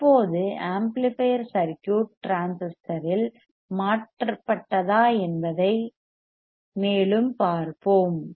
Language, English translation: Tamil, Now, let us see let us see further if the amplifier circuit is in transistor is replaced